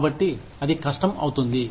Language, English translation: Telugu, So, that becomes difficult